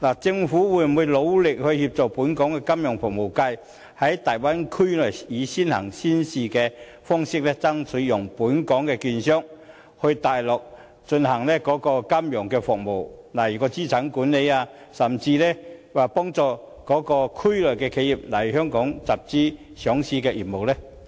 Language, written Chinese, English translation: Cantonese, 政府會否努力協助本港的金融服務界在大陸提供金融服務，例如爭取讓本港的券商在大灣區內以"先行先試"的方式提供金融服務，如資產管理，甚至幫助區內的企業來香港上市集資呢？, Will the Government endeavour to assist the local financial services sector in providing services on the Mainland such as striving for enabling local securities dealers to provide financial services such as asset management in the Bay Area on an early and pilot implementation basis and even help enterprises in the Area to seek listing in Hong Kong for capital formation?